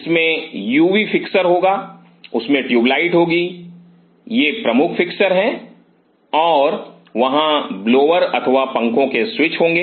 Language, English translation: Hindi, So, this will have a UV fixture they will have tube light these are the major fixtures and they have a switch for the blowers or the fans